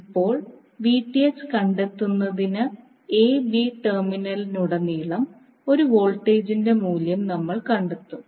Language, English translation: Malayalam, Now to find the Vth, what we will do will find the value of voltage across the terminal a b